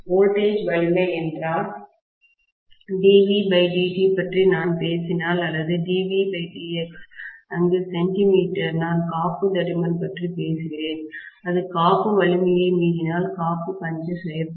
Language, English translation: Tamil, If the voltage you know the strength, dV by dt if I am talking about or dV by dX, where the centimetre, I am talking about the thickness of the insulation, if that exceeds the insulation strength, then the insulation will be punctured